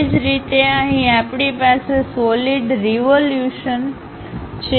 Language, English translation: Gujarati, Similarly, here we have solid of revolution